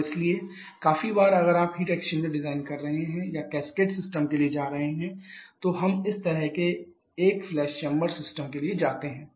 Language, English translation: Hindi, And therefore quite of an issue of designing a heat exchanger or going for a cascaded system we go in for a class same base system just like this